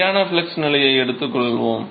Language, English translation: Tamil, So, let us take constant flux condition